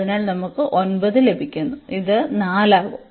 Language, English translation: Malayalam, So, we get 9 and then this is by 4